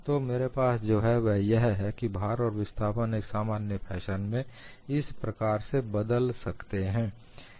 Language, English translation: Hindi, So, what I have is, the load and displacement may vary in a generic fashion like this